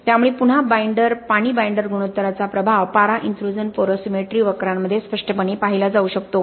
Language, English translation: Marathi, So again the effect of the water binder ratio can be clearly observed in the mercury intrusion porosimetry curves